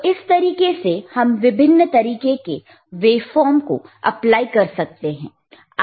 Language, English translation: Hindi, So, this is thehow you can you can apply different waveforms, right